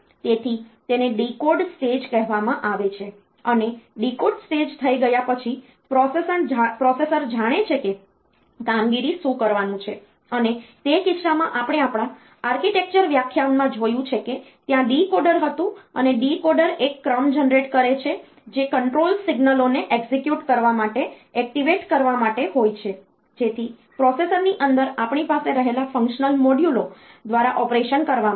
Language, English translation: Gujarati, So, that is called the decode stage and after the decode stage has been done then the processor knows like what is the operation to do and in that case we have seen in our architecture lectures that there was a decoder and the decoder generates a sequence of control signals to be execute to be to be activated, so that, the operation is done by the functional modules that we have inside the processor